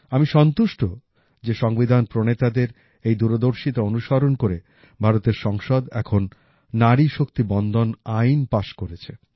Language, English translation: Bengali, It's a matter of inner satisfaction for me that in adherence to the farsightedness of the framers of the Constitution, the Parliament of India has now passed the Nari Shakti Vandan Act